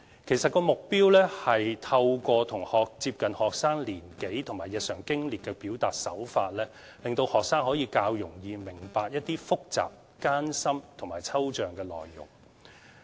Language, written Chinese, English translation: Cantonese, 其實，目標是透過接近學生年紀和日常經歷的表達手法，令學生可以較容易明白一些複雜、艱深和抽象的內容。, In fact the aim is to enable students to understand certain complicated difficult and abstract contents more easily in a way that is appropriate to their ages and daily experience